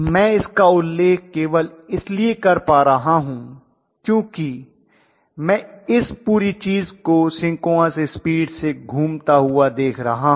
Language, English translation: Hindi, I am able to mention it only because I am looking at this whole thing rotating at synchronous speed